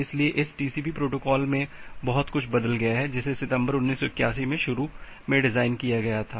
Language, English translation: Hindi, So, this TCP protocol has changed a lot from what it was designed initially in September 1981